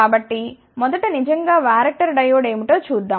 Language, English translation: Telugu, So, let us first look at what is really a varactor diode ok